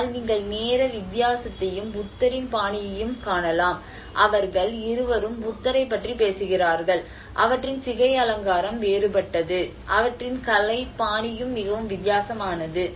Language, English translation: Tamil, \ \ But you can see the time difference, the style of Buddha, both of them are talking about the Buddha\'eds where it is the hairstyle have been different, and their artistic style is also very different